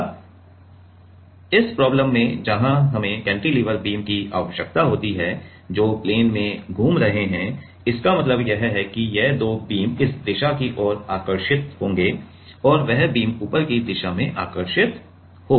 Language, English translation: Hindi, Now, this problem where we have to cantilever beam so which are moving in plane means these 2 beams these beam will get attracted towards this direction and the that beam will get attracted towards the top direction right